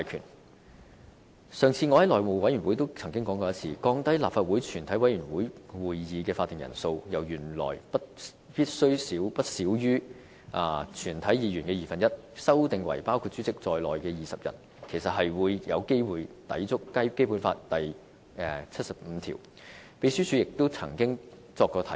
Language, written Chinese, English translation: Cantonese, 我上次在內務委員會也曾經說過，降低立法會全體委員會會議的法定人數，由原來必須不少於全體議員的二分之一，修訂為包括主席在內的20人，其實有機會抵觸《基本法》第七十五條，秘書處亦就此曾作出過提醒。, As I pointed out in the last House Committee meeting the proposal to lower the quorum of a committee of the whole Council from not less than one half of all its members to 20 members including the Chairman might contravene Article 75 of the Basic Law